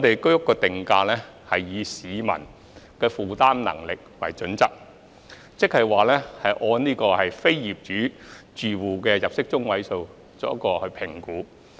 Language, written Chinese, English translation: Cantonese, 居屋定價是以市民的負擔能力為基礎，即按非業主住戶的入息中位數作出評估。, HOS pricing is based on the affordability of the public ie . assessed on the basis of the median income of non - owner households